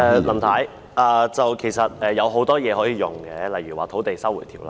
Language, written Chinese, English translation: Cantonese, 林太，其實有很多方法可以用，例如《收回土地條例》。, Mrs LAM actually this can be done in many ways such as invoking the Lands Resumption Ordinance